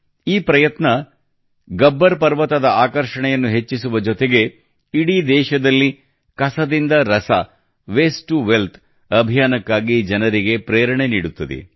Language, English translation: Kannada, This endeavour, along with enhancing the attraction value of Gabbar Parvat, will also inspire people for the 'Waste to Wealth' campaign across the country